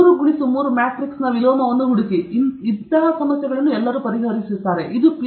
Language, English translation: Kannada, Find the inverse of a three by three matrix; everybody will solve; that is not a Ph